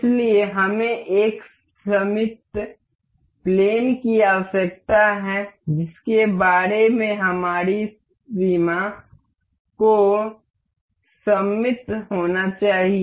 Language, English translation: Hindi, So, one we need to we need the symmetry plane about which the our limits has to have to be symmetric about